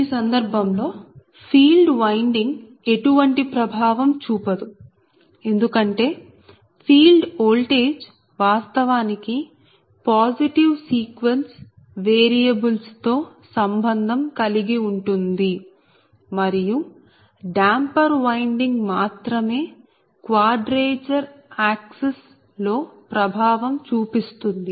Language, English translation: Telugu, that field winding has no influence because field voltage actually associated with the positive sequence variables and only the damper winding produces an effect in the quadrature axis